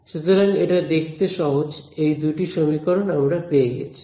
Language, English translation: Bengali, So, that is why, so this is the equation that I get